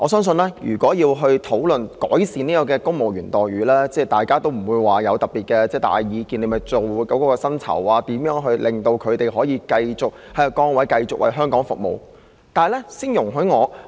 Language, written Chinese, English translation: Cantonese, 說到要改善公務員待遇，相信大家不會有特別大的意見，只要探討如何調整薪酬，讓他們繼續在其崗位為香港服務便可。, When it comes to improving the employment terms of civil servants I think we all have no particular strong views and we can simply explore how salary adjustments should be implemented so that civil servants may remain in their posts and continue to serve Hong Kong